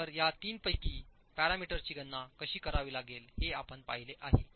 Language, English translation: Marathi, So, we have seen how three of these parameters have to be calculated